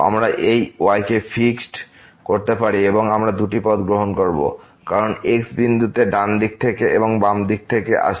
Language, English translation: Bengali, We can fix this and we will take these two paths as approaches to this point from the right side or from the left side